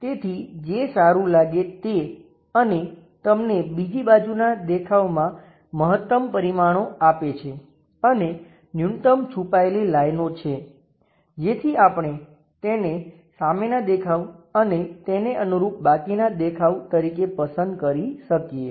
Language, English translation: Gujarati, So, whatever good looks and gives you maximum dimensions on the other side views minimum number of hidden lines that view we could pick it as a front view and adjacent view